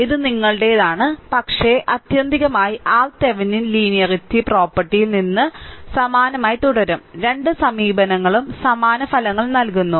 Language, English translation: Malayalam, It is up to you, but ultimately, your R Thevenin will remain same right from your linearity property; Both the approaches give identical results